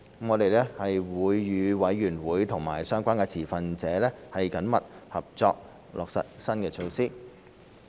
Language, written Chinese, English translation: Cantonese, 我們會與委員會和相關持份者緊密合作，落實新措施。, We will work closely with the Commission and relevant stakeholders in implementing the new initiatives